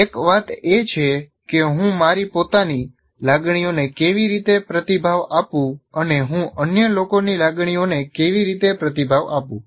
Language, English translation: Gujarati, And so one of the thing is how do I respond to my own emotions and how do I respond to the others emotions